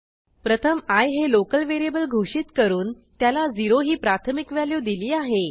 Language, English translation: Marathi, First, I declared a local variable i and initialized it with value 0